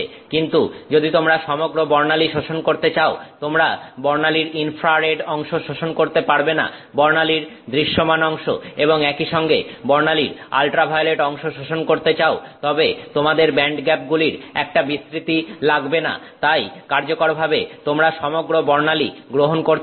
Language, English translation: Bengali, But if you want to absorb the entire spectrum, you want to absorb the infrared part of the spectrum, the visible part of the spectrum as well as the ultraviolet part of the spectrum, then you do need a range of, you know, band gaps so that you can capture this entire spectrum effectively